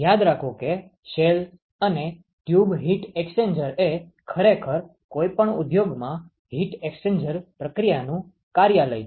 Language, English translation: Gujarati, Remember that shell and tube heat exchanger is actually the workhorse of heat exchange process in any industry